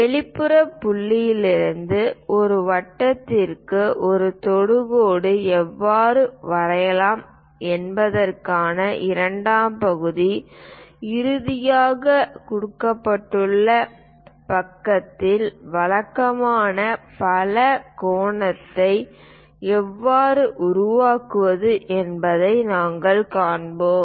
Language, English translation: Tamil, The second part of the thing how to draw tangent to a circle from an exterior point; finally, we will cover how to construct a regular polygon of a given side